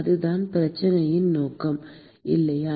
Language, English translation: Tamil, That is the objective of the problem, right